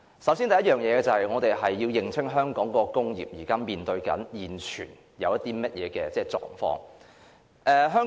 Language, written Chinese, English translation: Cantonese, 首先，我們要認清香港工業現正面對的一些狀況。, First of all we must understand the situation faced by industries in Hong Kong